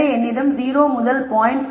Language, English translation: Tamil, So, I have 0 to 0